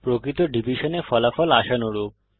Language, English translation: Bengali, In real division the result is as expected